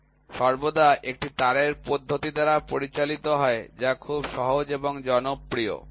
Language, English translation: Bengali, So, a thread measurement is always conducted by a wire method, which is very simple and popular